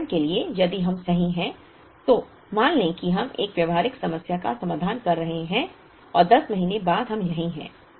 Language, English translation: Hindi, For example, if we are right here let us assume we are addressing a practical problem and we are right here after 10 months